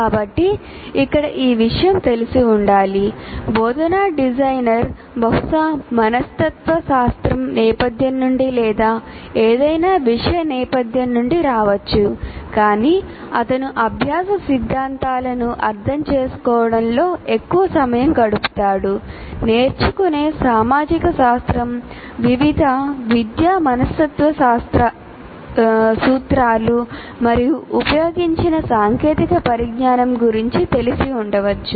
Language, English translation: Telugu, Instructional designer possibly can come from psychology background or from any subject background doesn't matter, but he would spend a lot of time in understanding the learning theories, what he you call sociology of learning or various what do you call educational psychology principles and then the bit of awareness of the technologies that are used